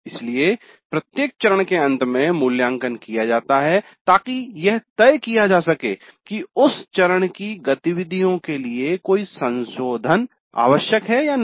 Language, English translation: Hindi, So, the formative evaluation is taken up at the end of every phase to decide whether any revisions are necessary to the activities of that phase